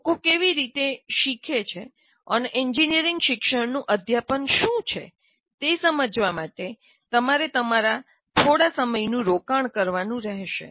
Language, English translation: Gujarati, And you have to keep investing some time in yourself, in understanding how people learn and pedagogy of engineering education